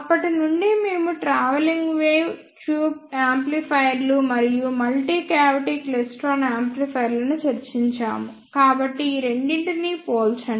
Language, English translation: Telugu, Since, we have discussed travelling wave tube amplifiers and multi cavity klystron amplifiers, so let us compare these two